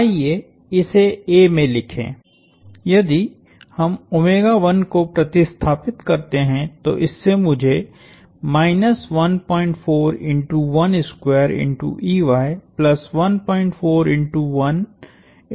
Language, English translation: Hindi, Let us write it in a, if we substitute omega1 and that gives me minus 1